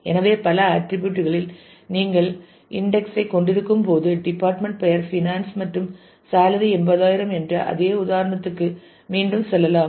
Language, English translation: Tamil, So, when you have index on multiple attributes say again going back to that same example of department naming finance and salary being 80000